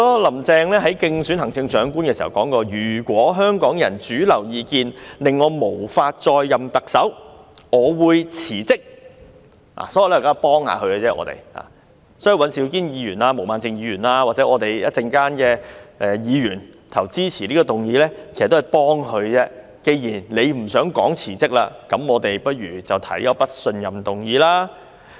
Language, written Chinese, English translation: Cantonese, 林鄭月娥競選行政長官時曾經說，如果香港人主流意見令她無法再任特首，她會辭職，所以，我們現在只是幫她一把，稍後尹兆堅議員、毛孟靜議員或投票支持這項議案的議員，其實也是在幫助她，既然她不想說辭職，那我們便提出不信任議案。, In running for the office of Chief Executive Carrie LAM said that she would resign if the mainstream opinion of Hong Kong people rendered her unsuitable to serve as the Chief Executive . Therefore we are here only to lend her a hand . Mr Andrew WAN Ms Claudia MO or Members who will vote for this motion are actually giving her a hand